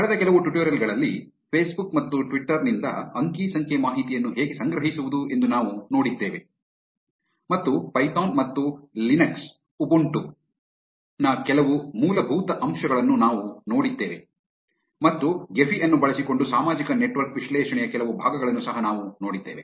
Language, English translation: Kannada, In the last few tutorials, we have seen how to collect data from Facebook and Twitter and we have seen some basics of python and Linux Ubuntu and we have also seen some parts of social network analysis using Gephi